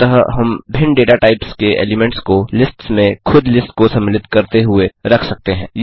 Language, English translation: Hindi, Thus, we can put elements of different data types in lists including lists itself